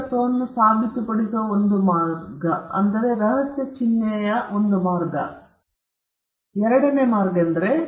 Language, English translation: Kannada, He could say that is one way to prove ownership, you had given, put in a secret mark